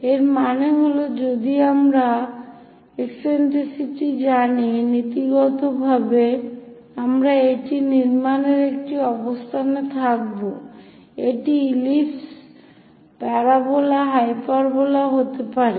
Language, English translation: Bengali, That means if we know the directrix distance and eccentricity, in principle, we will be in a position to construct it can be ellipse, parabola, hyperbola